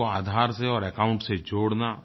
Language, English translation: Hindi, That was connected to account and Aadhar